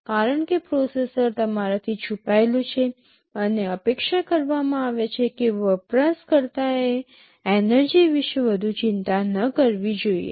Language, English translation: Gujarati, Because the processor is hidden from you and it is expected that the user should not worry too much about energy